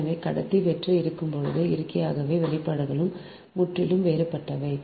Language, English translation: Tamil, so when conductor is hollow, so naturally the expressions also totally different right